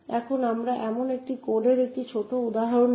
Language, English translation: Bengali, Now we will take a small example of such a code